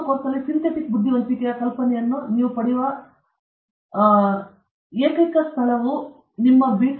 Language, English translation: Kannada, The only place where you get, where you have a idea of the synthetic intelligence in your course, is basically in your B